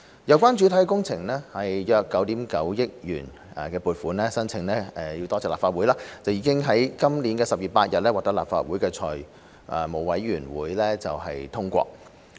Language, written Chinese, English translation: Cantonese, 有關主體工程的約9億 9,000 萬元撥款申請——多謝立法會——已經於今年10月8日獲得立法會財務委員會通過。, The funding application of about 990 million for the main works was thanks to the Legislative Council approved by its Finance Committee on 8 October this year